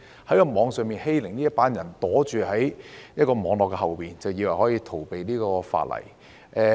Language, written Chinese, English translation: Cantonese, 作出網上欺凌的這群人躲在網絡後面，便以為可以逃避法例。, Cyber - bullies think they can evade the law by hiding behind the Internet